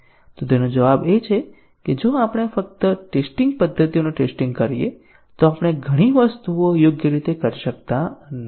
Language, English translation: Gujarati, So the answer to that is that, if we just simply test the methods then we are not doing several things correctly